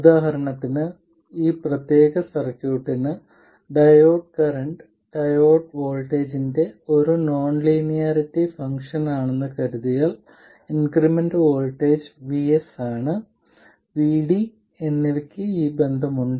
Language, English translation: Malayalam, So, for instance for this particular circuit, assuming that the diode current is a non linearity F of the diode voltage, then the incremental voltages Vs and VD have this relationship